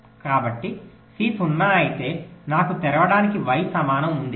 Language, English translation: Telugu, so so if c is zero means i have y equal to open